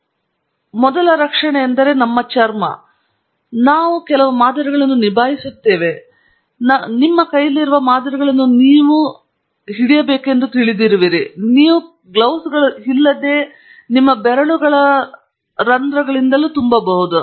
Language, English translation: Kannada, Our first protection is our skin, and then, you know if you are handling samples, you are actually going to put, you know, samples in your hands, which would then fill pores of your fingers if you are not having a set of gloves